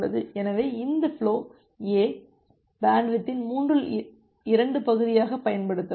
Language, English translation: Tamil, So, this flow A, it can use the 2 third of the bandwidth